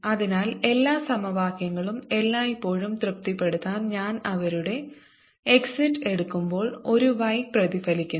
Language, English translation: Malayalam, to satisfy all the equations all the time, therefore, i have to then take at their exits a y reflected also